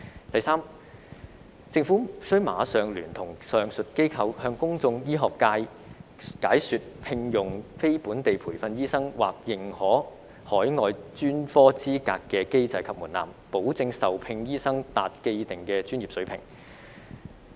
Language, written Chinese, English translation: Cantonese, 第三，政府須馬上聯同上述機構，向公眾、醫學界解說聘用非本地培訓醫生或認可海外專科資格的機制及門檻，保證受聘醫生達既定的專業水平。, Third the Government and the above mentioned institutions must immediately explain to the public and the medical sector the mechanism and threshold for employing non - locally trained doctors or recognizing overseas specialist qualifications to ensure that the doctors employed meet the established professional standard